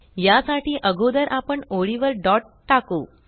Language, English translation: Marathi, For this, we will first put a dot on the line